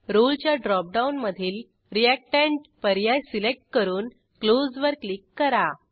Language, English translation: Marathi, In the Role drop down, select Reactant and click on Close